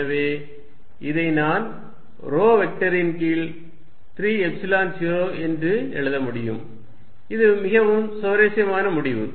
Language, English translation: Tamil, So, I can write this as rho vector a over 3 Epsilon 0, this is very interesting result